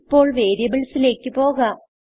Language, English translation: Malayalam, Now we will move on to variables